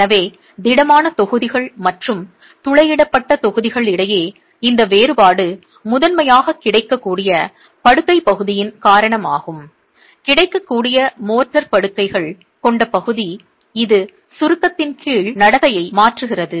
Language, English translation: Tamil, So, between the solid blocks and the perforated blocks, this difference is primarily due to the available bedded area, available motor bedded area that changes the behavior under compression itself